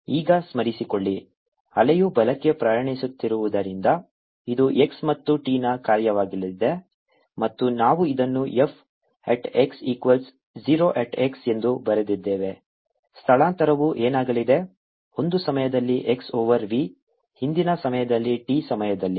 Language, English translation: Kannada, now, recall, since the wave is travelling to the right, this is going to be a function of x and t and we had written this as f at x equals zero, at x is s is going to be